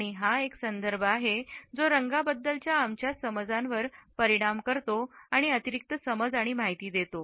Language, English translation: Marathi, And it is a context which affects our perception of a color and gives an additional understanding and information